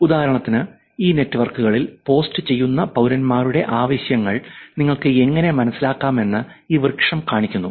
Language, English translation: Malayalam, For example, this tree shows how you can understand the needs of citizens who are posting on these networks